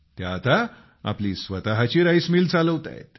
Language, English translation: Marathi, Today they are running their own rice mill